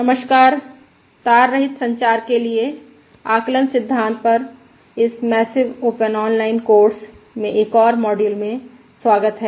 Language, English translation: Hindi, Hello, welcome to another module in this massive open online course on Estimation Theory for Wireless Communication